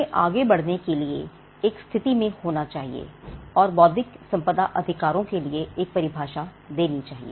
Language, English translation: Hindi, We should be in a position, to move forward and give a definition for intellectual property rights